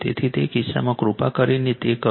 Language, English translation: Gujarati, So, in that case, you please do it